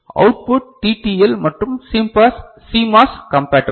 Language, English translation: Tamil, Output is TTL and CMOS compatible ok